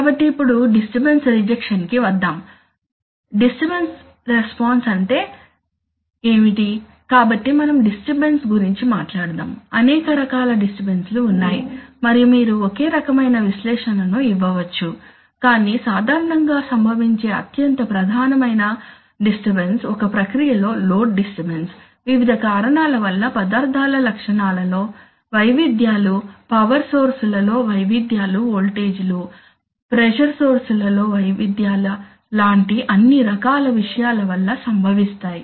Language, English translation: Telugu, So, now come to the point of disturbance rejection, so what is the disturbance response, the disturbance, so let us talk about there are there are there are several types of disturbances and you can do the same kind of analysis but the most predominant disturbance which occurs generally is the load disturbance in a process, occur due to various reasons property variations of materials, variations in power sources, voltages, variations in pressure sources all sorts of things